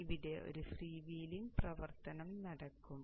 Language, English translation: Malayalam, So there will be a freewheeling action happening here